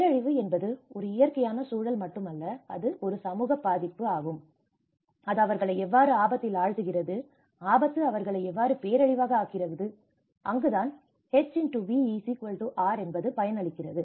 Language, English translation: Tamil, Disaster is not just a natural context, but it is the social vulnerability, how it puts them into the risk, how hazard makes them into a disaster and that is where the H*V=R